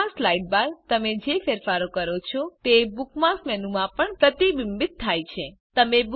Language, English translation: Gujarati, Changes you make in the Bookmarks Sidebar are also reflected in the Bookmarks menu